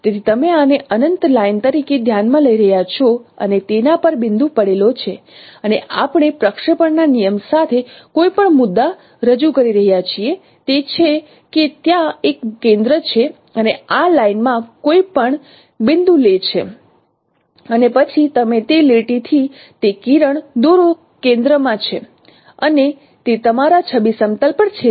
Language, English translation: Gujarati, So you are considering this is the this is an infinite line and points are lying on it and we are projecting any point with the projection rule is that there is a center of there is a center and take any point in this line and then you draw a ray from that line to that center and that would intersect on your image plane